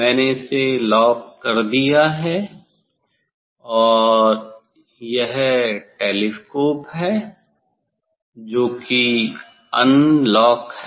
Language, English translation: Hindi, I have locked it and this telescope that is the unlock